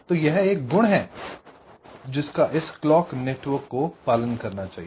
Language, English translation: Hindi, ok, so this is one property that this clock network should follow or ensure